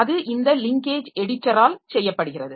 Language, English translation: Tamil, So, that is done by this linkage editor